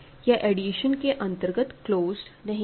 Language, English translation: Hindi, Also it is not closed under addition